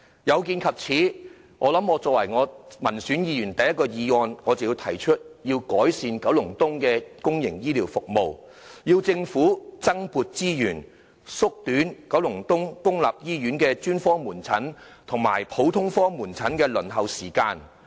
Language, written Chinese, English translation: Cantonese, 有見及此，我成為民選立法會議員提出的第一項議案，就是要改善九龍東的公營醫療服務，要求政府增撥資源，縮短九龍東公立醫院的專科門診和普通科門診的輪候時間。, In view of this the first motion I proposed after becoming an elected Legislative Council Member is improving public healthcare services in Kowloon East which requests the Government for additional resources to shorten the waiting time for specialist outpatient services and general outpatient services of public hospitals in Kowloon East